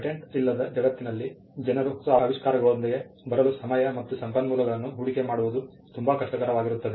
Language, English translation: Kannada, In a world without patents, it would be very difficult for people to invest time and resources in coming up with new inventions